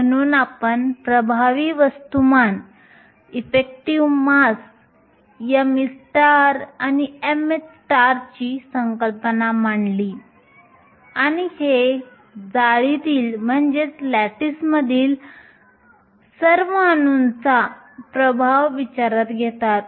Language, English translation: Marathi, So, we introduced the concept of the effective mass m e star and m h star and these take into account the effect of all the atoms in the lattice